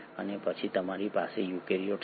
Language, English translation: Gujarati, And then you have the eukaryotes